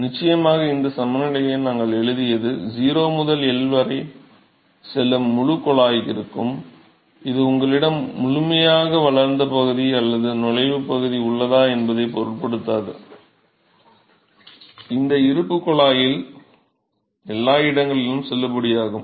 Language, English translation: Tamil, Yeah, sure because this balance we wrote this is for the whole tube, going from 0 to L; this is the independent of whether you have a fully developed region or an entry region, this balance is valid everywhere in the tube